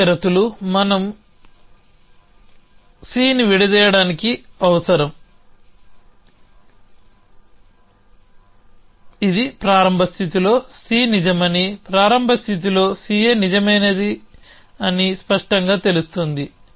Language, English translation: Telugu, So, the c conditions need for unshackling c from we which is clear C is true in the initial state, on C A true in the initial state